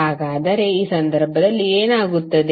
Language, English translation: Kannada, So what would be in this case